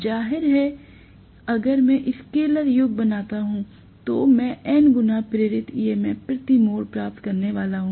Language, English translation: Hindi, Obviously if I make scaler sum, I am going to get N times EMF induced per turn